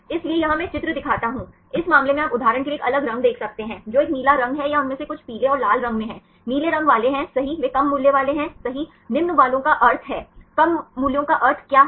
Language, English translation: Hindi, So, here I show the picture, in this case you can see a different colors for example, which is a blue color or some of them are in yellow and the red; is the blue color ones right they are having low values right low values means what is the meaning of low values